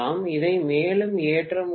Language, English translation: Tamil, You can’t load it further